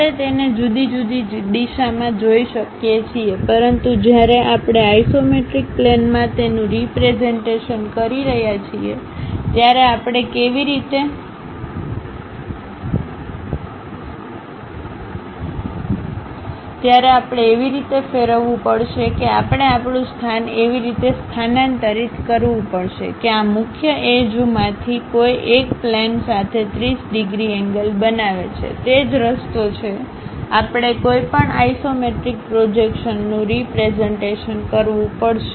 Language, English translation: Gujarati, We can view it in different directions; but when we are representing it in isometric plane, we have to rotate in such a way that or we have to shift our position in such a way that, one of these principal edges makes 30 degrees angle with the plane, that is the way we have to represent any isometric projections